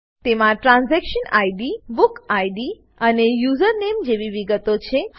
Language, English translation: Gujarati, It has details like Transaction Id, Book Id and Username